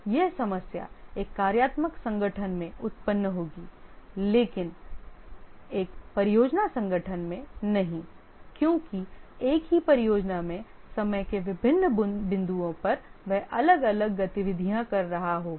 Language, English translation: Hindi, That problem would arise in a functional organization but not in a project organization because at different points of time in the same project you will be doing different activities